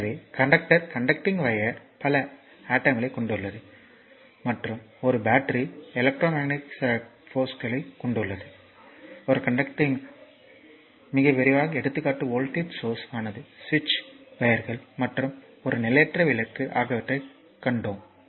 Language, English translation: Tamil, So, conductor conducting wire consist of several atoms and a battery is a source of electrometric force, when a conducting wire is connected to a battery the very fast example what we saw that voltage source is switch, conducting wires and a transient lamp right